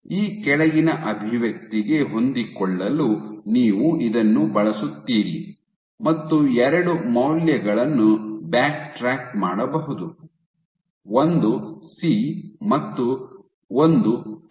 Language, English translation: Kannada, You use this you fit it with the following expression you can backtrack 2 values one is C and one is tau